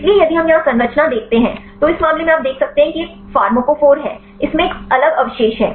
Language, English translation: Hindi, So, if we see the structure here; so in this case you can see this is the pharmacophore, it contains a different a residues